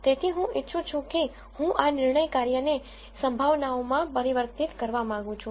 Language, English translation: Gujarati, So, what I would like to do is I want to convert this decision function into probabilities